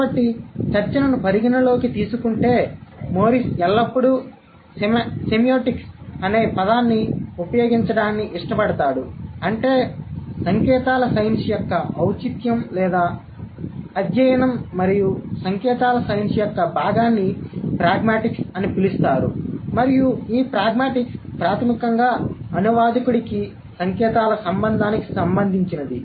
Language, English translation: Telugu, So, considering the discussion Morris always preferred to use the term semiotics, which means the relevance of the study of science and a part of semiotics was known as pragmatics and this pragmatics would be primarily the study that that is related to the relation of science to the interpreters so there are two things one is a set of science the one is the interpretations